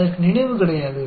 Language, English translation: Tamil, It has got no memory